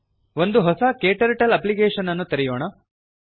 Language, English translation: Kannada, Lets open a new KTurtle Application